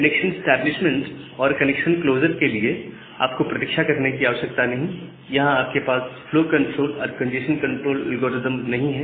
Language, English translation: Hindi, You do not need to wait for the connection establishment and the connection closure, and you do not have any flow control and the congestion control algorithm